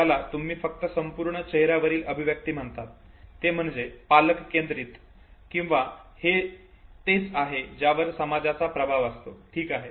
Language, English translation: Marathi, But is it, that entire facial expression is only what you call, parent centric or is it that there is an influence even of the society, okay